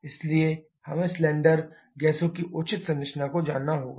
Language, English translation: Hindi, So, we need to know the proper composition of the cylinder gases